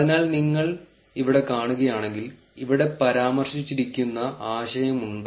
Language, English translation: Malayalam, So, if you see here, there are concepts that are mentioned here